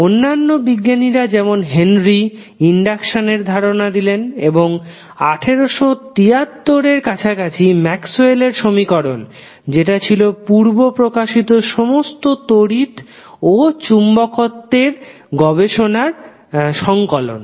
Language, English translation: Bengali, Other scientists like Henry gave the concept of electricity, induction and then later on, in the in the 19th century around 1873, the concept of Maxwell equation which was the compilation of all the previous works related to electricity and magnetism